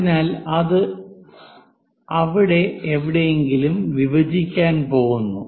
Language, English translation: Malayalam, So, it is going to intersect somewhere there